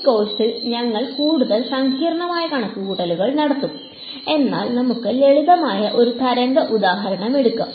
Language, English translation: Malayalam, We will do much more complicated calculations in this course, but let us just take a simpler wave example